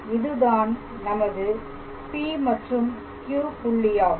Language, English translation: Tamil, So, this is our point Q this is our point P